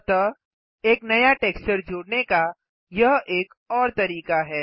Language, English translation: Hindi, So this is another way to add a new texture